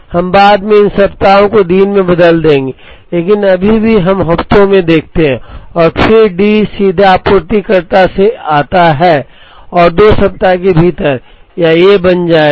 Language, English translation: Hindi, We will later convert these weeks into days, but right now let us look at weeks and then D comes directly from the supplier and within 2 weeks, it will become A